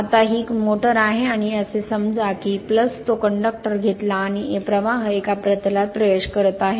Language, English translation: Marathi, Now, this is a motor right and this is suppose you take the your plus that conductor right and current is entering into the plane